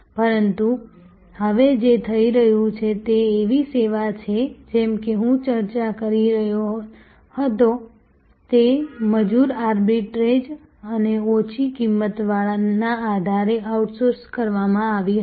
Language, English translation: Gujarati, But, what is now happening is earlier such service as I was discussing were outsourced on the basis of labor arbitrage and lower cost